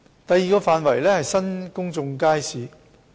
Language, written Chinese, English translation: Cantonese, 第二個範圍是新公眾街市。, The second area is on new public markets